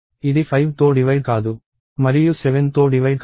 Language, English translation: Telugu, It is not divisible by 5 and it is not divisible by 7